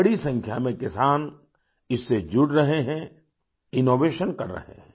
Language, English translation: Hindi, Farmers, in large numbers, of farmers are associating with it; innovating